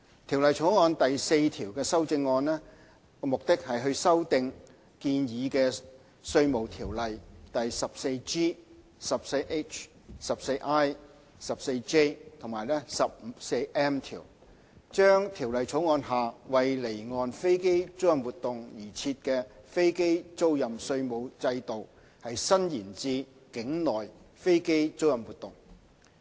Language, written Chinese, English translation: Cantonese, 《條例草案》第4條的修正案，目的是修訂建議的《稅務條例》第 14G、14H、14I、14J 及 14M 條，將《條例草案》下為離岸飛機租賃活動而設的飛機租賃稅務制度，伸延至境內飛機租賃活動。, Amendments to clause 4 of the Bill seek to amend the proposed clauses 14G 14H 14I 14J and 14M of the Inland Revenue Ordinance and thereby extending the application of the aircraft leasing tax regime under the Bill from offshore aircraft leasing activities to onshore aircraft leasing activities